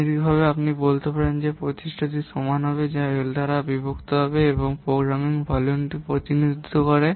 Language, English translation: Bengali, Mathematical you can say that the effort will be equal to V which is which represents the program volume that will be divided by L